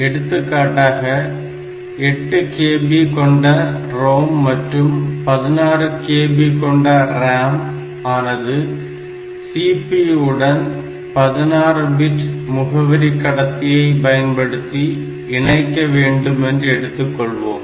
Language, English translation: Tamil, We take an example where I have to I need to connect eight kilobyte of ROM and 16 kilobyte of RAM via system, with a CPU that has got 16 bit address bus